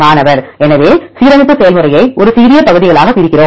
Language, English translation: Tamil, So, we divide alignment process in to a smaller parts